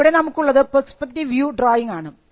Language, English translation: Malayalam, Here, you have the perspective view drawing